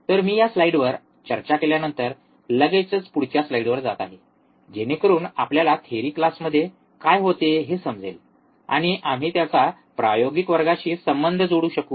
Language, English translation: Marathi, So, I am just quickly moving on the to the next slide after discussing this slide so that we understand what was the theory class and we can correlate with the experimental class